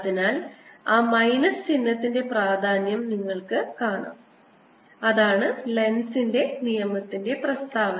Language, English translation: Malayalam, so you see the importance of that minus sign out here, and that is the statement of lenz's law